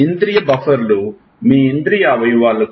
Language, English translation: Telugu, So, sensory buffers, these are sensory buffers are what your sense organs